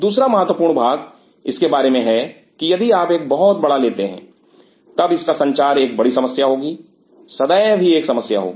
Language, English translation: Hindi, Second important part about this is that if you take a very big one then its movement will be an issue, will be always an issue